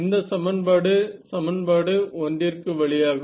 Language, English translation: Tamil, This was equation the route for equation 1